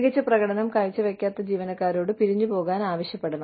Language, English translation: Malayalam, We have to ask, the underperforming employees, to leave